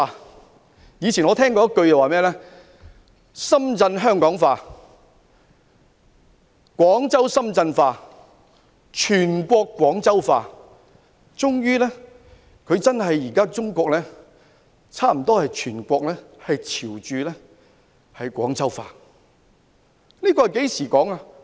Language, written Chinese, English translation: Cantonese, 我以前聽過一句說話，是"深圳香港化，廣州深圳化，全國廣州化"，中國全國最終真的差不多朝着"廣州化"發展。, I have heard the following saying to this effect Shenzhen is developing in the mode of Hong Kong; Guangzhou the mode of Shenzhen; and the whole country the mode of Guangzhou . Eventually China has indeed developed in a mode similar to that of Guangzhou across the whole country